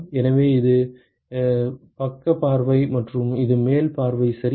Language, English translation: Tamil, So, this is the side view and this is the top view ok